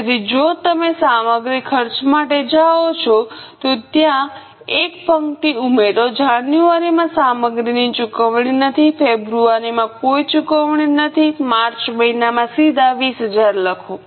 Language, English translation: Gujarati, So, if you go for material cost, add a row there for material no payment in January no payment in February directly write 20,000 in the month of March